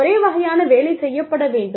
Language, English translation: Tamil, The same kind of work, needs to be done